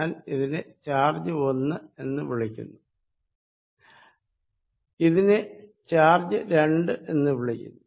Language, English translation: Malayalam, I am calling this charge 1, I am calling this charge 2